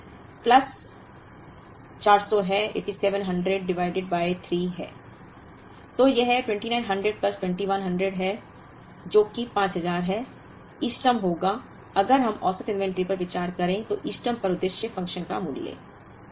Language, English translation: Hindi, So, this is 2900 plus 2100, which is 5000 will be the optimum, the value of the objective function at the optimum, if we consider the average inventory